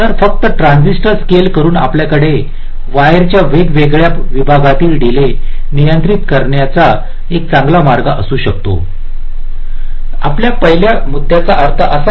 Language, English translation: Marathi, so just by scaling the transistor we can have a very nice way of controlling the delays of the different segments of the wires, right